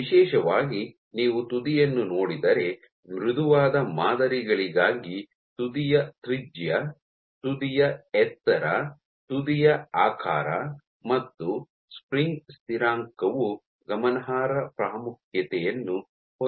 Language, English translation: Kannada, Particularly if you look at the tip, if you are proving soft samples; for soft samples the tip radius, the tip height, the tip shape and the spring constant are of notable importance